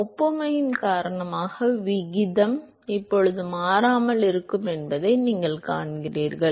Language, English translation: Tamil, Because of the analogy you see that the ratio is now going to remain constant